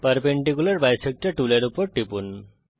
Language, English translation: Bengali, Click on the Perpendicular bisector tool